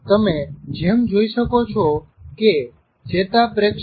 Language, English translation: Gujarati, As you can see the neurotransmitters are released